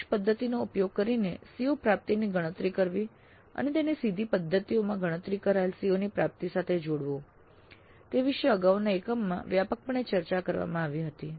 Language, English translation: Gujarati, So computing the CO attainment using indirect method and combining it with the CO attainment computed using direct methods